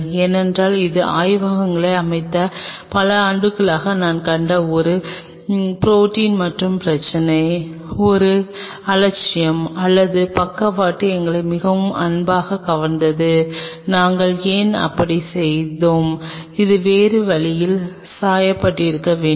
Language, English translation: Tamil, Because this is a protein and problem I have seen over the years when we have set up labs, one negligence or not side coasted us very dearly that shit why we did like that it should have dyed other way